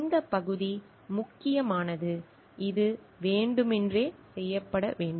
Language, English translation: Tamil, This part is important that it should be committed intentionally